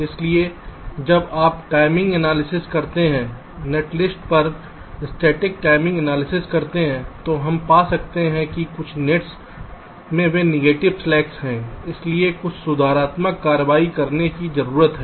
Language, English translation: Hindi, so when you do timing analysis, static timing analysis on a net list, we may find that some of the nets they are having negative slacks